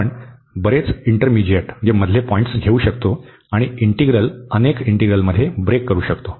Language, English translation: Marathi, We can take many intermediate points and we can break the integral into several integrals